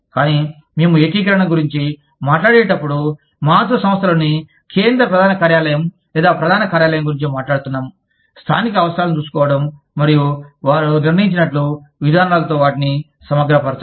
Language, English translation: Telugu, But, when we talk about integration, we are talking about, the central headquarters, or the headquarters in the parent company, taking care of the local needs, and integrating them with the policies, that they have decided